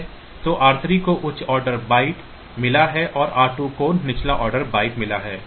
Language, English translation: Hindi, So, r 3 has got higher order byte r 2 has got the lower order byte